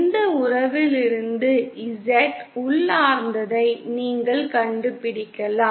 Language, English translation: Tamil, Then you can find out Z intrinsic from this relation